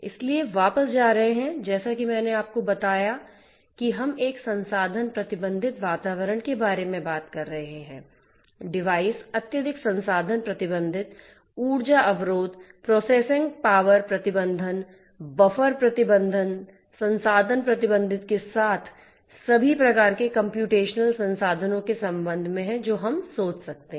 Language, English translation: Hindi, So, going back, as I told you that we are talking about a resource constraint environment, devices are highly resource constant, energy constant, processing power constraint, buffer constraint and resource constraint with respect to all kinds of computational resources that we can think of